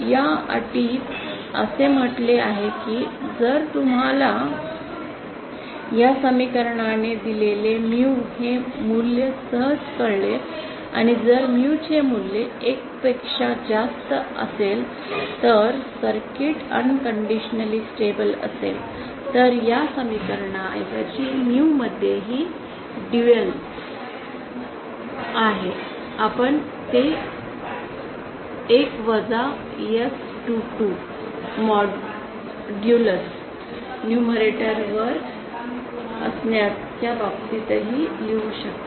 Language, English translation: Marathi, A new condition was given in the year 1992now this condition states that if you simply find OUT this value of mue given by this equation and if the value of mue is greater than 1 then the circuit is unconditionally stable Mue also has a dual instead of this equation you can also write it in terms of 1 minus S22 modulus being on the numerator